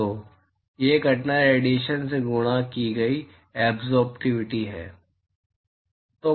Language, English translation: Hindi, So, that is the absorptivity multiplied by the incident irradiation